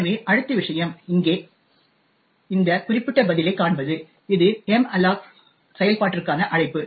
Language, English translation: Tamil, So, the next thing will look at is this particular response over here which is a call to the malloc function